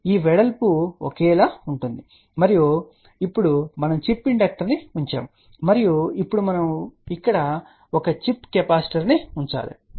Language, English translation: Telugu, So, this width will be same and now we put the chip inductor and now we have to put a chip capacitor here